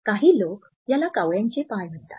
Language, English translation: Marathi, Some people actually call these crows feet